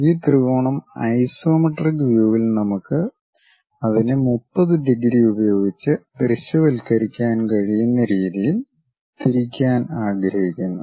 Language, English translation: Malayalam, This triangle we would like to rotate it in such a way that isometric view we can visualize it with base 30 degrees